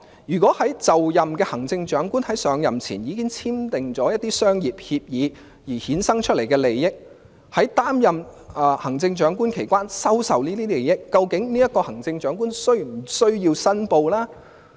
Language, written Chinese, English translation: Cantonese, 如果就任的行政長官在上任前已經簽訂一些商業協議並衍生利益，或在擔任行政長官期間收受利益，究竟這位行政長官是否需要申報呢？, Is the Chief Executive required to declare any commercial contracts he has entered into before he assumes office and any interests generated therefrom as well as advantages he has accepted during his office?